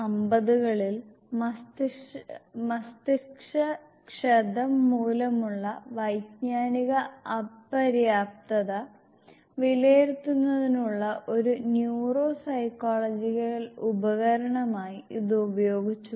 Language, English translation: Malayalam, In the 1950s it was used as a neuropsychological tool for assessing cognitive dais function due to brain damage